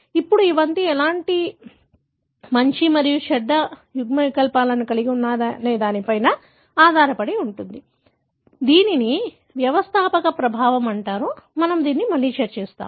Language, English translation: Telugu, Now, it all depends on what kind of good and bad allele that carried that is what is called as founder effect; we will discuss again